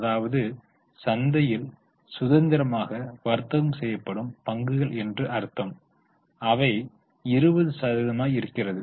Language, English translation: Tamil, That means these are the shares which are freely traded in the market which is about 20%